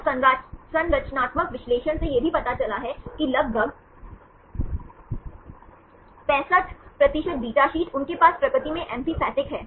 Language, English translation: Hindi, So, the structural analysis also showed that about 65 percent of the beta sheets, they possess amphipathic in nature